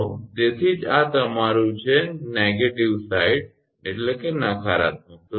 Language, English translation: Gujarati, So, that is why this is your it is on the negative side